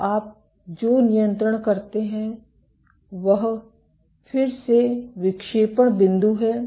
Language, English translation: Hindi, So, what you control is again the deflection set point